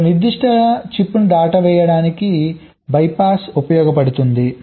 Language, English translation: Telugu, ok, bypass is used to skip a particular chip